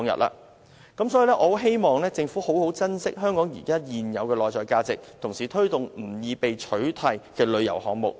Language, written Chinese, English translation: Cantonese, 我很希望政府好好珍惜香港現有的內在價值，同時推動不易被取替的旅遊項目。, I very much hope that the Government will cherish the intrinsic values of Hong Kong and promote tourism projects which are not easily replaceable